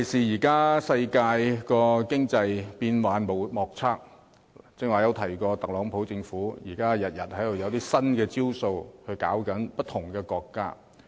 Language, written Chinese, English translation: Cantonese, 現今世界經濟發展變幻莫測，尤其是我剛才提到，特朗普政府天天都推出新的招數，對付不同的國家。, The economic development of the world these days is volatile and unpredictable not least because as I have just said the TRUMP administration is rolling out new measures to tackle different countries every day